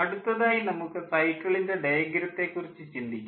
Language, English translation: Malayalam, next, if we think of the cycle diagram, the cycle diagram looks like this